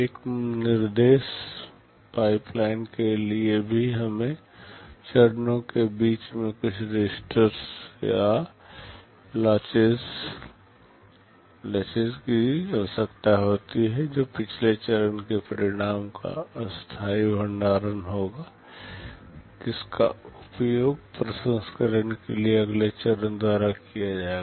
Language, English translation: Hindi, For a instruction pipeline also we need some registers or latches in between the stages, which will be temporary storing the result of the previous stage, which will be used by the next stage for processing